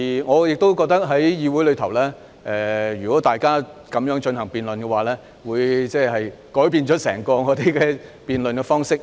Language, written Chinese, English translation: Cantonese, 我亦認為在議會內，如果大家這樣進行辯論，便會改變我們整個辯論方式。, I also think that in this Council if Members should speak in a debate in this manner our entire approach of debate will be changed